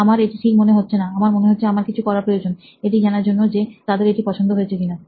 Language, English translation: Bengali, that does not sound right, maybe I have to do something to test whether they like it